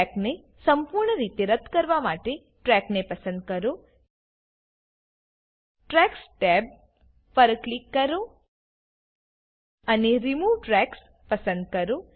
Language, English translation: Gujarati, To remove a track completely, select the track, click on Tracks tab and select Remove Tracks